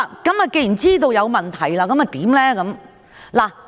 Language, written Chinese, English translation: Cantonese, 既然知道有問題，那麼應如何處理？, Now that we have known the problem how should we deal with it?